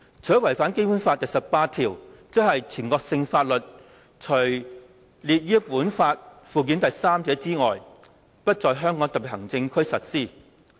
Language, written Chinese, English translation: Cantonese, 它違反《基本法》第十八條的條文外，即是"全國性法律除列於本法附件三者外，不在香港特別行政區實施。, The proposal contravenes Article 18 of the Basic Law which provides National laws shall not be applied in the Hong Kong Special Administrative Region except for those listed in Annex III to this Law